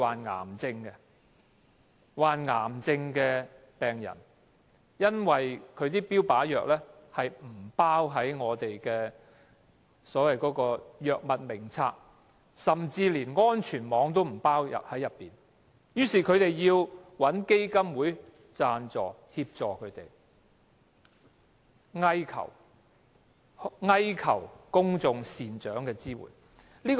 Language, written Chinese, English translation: Cantonese, 他們均是癌症病人，服用的標靶藥不包含在《醫院管理局藥物名冊》中，甚至不在安全網補助的藥物名單之上，他們於是找基金會幫助，乞求公眾人士的支援。, All of them are cancer patients taking target therapy drugs which are on neither the Hospital Authority Drug Formulary nor the list of drugs under safety net subsidy . They therefore seek help from the foundations and beg assistance from the public